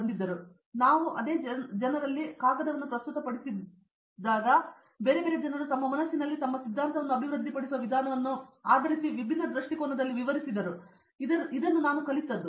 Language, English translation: Kannada, So, there what I learnt is that in the same group of people when we are going to presenting a paper, so different people are explaining in different perspective based on their application the way their theory they develop in their own mind